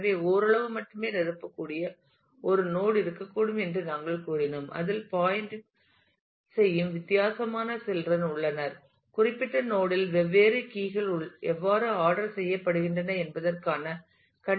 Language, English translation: Tamil, So, we said that there could be a node which can be only partially filled and it has a different number of children pointing to the; conditions of how different keys are ordered in that particular node